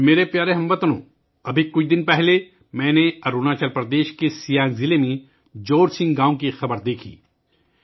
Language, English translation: Urdu, My dear countrymen, just a few days ago, I saw news from Jorsing village in Siang district of Arunachal Pradesh